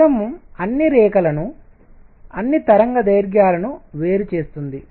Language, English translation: Telugu, The prism separates all the lines all the wavelengths